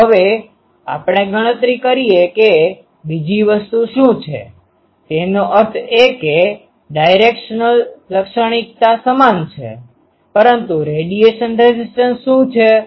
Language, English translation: Gujarati, So, now let us calculate what is the other thing; that means, directional characteristic is same but what is the radiation resistance